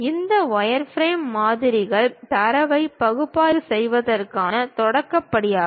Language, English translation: Tamil, These wireframe models are the beginning step to analyze the data